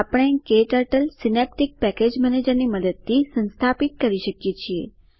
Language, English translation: Gujarati, We can install KTurtle using Synaptic Package Manager